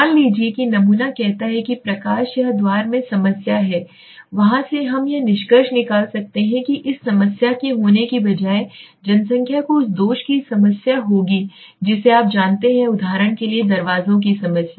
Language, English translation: Hindi, Suppose let us say the sample says there is a problem in the defect or defect in the let us say the light or let say in the door then from there we can may be conclude that this if this sample is also having this problem then the population will also be have the problem of the defect you know a problem of the doors for example right